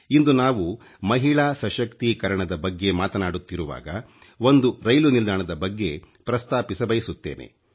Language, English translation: Kannada, Today, as we speak of women empowerment, I would like to refer to a railway station